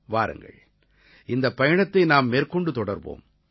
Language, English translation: Tamil, Come, let us continue this journey